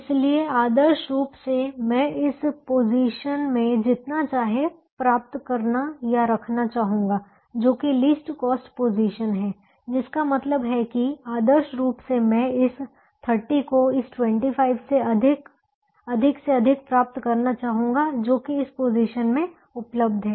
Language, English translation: Hindi, so ideally i would like to get or put as much as we can in this position, which is the least cost position, which means ideally i would like to get as much of this thirty as i can from this twenty five that is available in this position